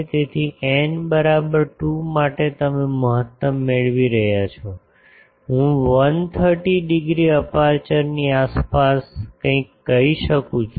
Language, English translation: Gujarati, So, for n is equal to 2 you are getting a maximum I can say something around 130 degree aperture